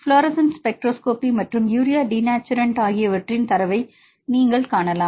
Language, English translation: Tamil, You can see the data for the fluorescence spectroscopy so and urea denaturation